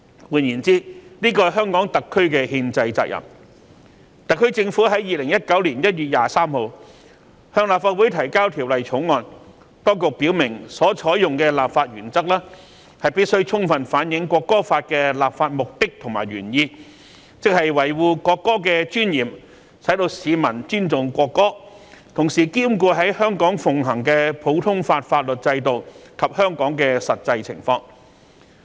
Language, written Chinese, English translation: Cantonese, 換言之，這是香港特區的憲制責任，特區政府在2019年1月23日向立法會提交《條例草案》，當局表明所採用的立法原則必須充分反映《國歌法》的立法目的和原意，即維護國歌的尊嚴，使市民尊重國歌，同時兼顧在香港奉行的普通法法律制度及香港的實際情況。, In other words this is a constitutional responsibility of HKSAR . When the SAR Government presented the Bill to the Legislative Council on 23 January 2019 the authorities indicated that the legislative principle is to fully reflect the legislative purpose and intent of the National Anthem Law which is to preserve the dignity of the national anthem and promote respect for the national anthem among members of the public; and at the same time to give due regard to the common law system practised in Hong Kong as well as the actual circumstances in Hong Kong